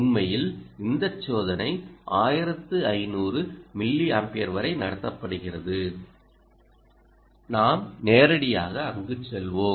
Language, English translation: Tamil, in fact, ah, this experiment is conducted up to one thousand, five thousand milliamperes, and we will take you directly there